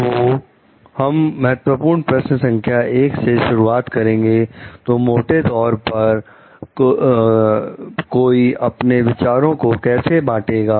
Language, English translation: Hindi, So, we will begin with a key question 1 so, which is how broadly one should share ideas